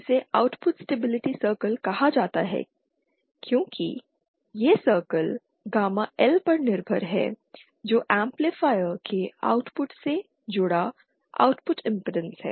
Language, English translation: Hindi, It is called output stability circle because here the circle is dependent on gamma L which is the output impedance connected to the output of the amplifier